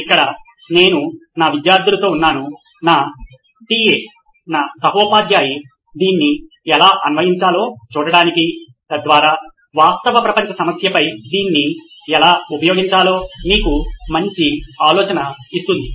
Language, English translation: Telugu, So here I am with my students, my TA my teaching assistant to see how to apply this so that you can get a good idea on how to apply it on a real world problem